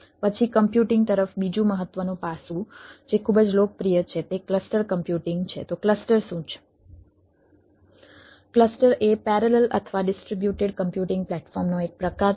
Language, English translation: Gujarati, there then, another important aspects: computer, which which is pretty popular, is the cluster computing ah